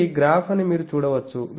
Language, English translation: Telugu, You can see this is the graph